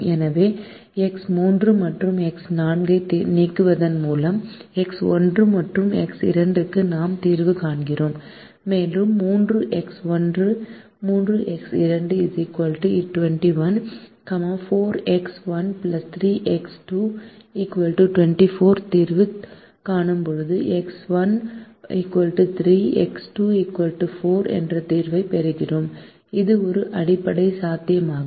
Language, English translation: Tamil, and when we solve for three x one plus three x two, equal to twenty one, four x one plus three x two, equal to twenty four, we get a solution: x one equal to three x two equal to four, which is also a basic feasible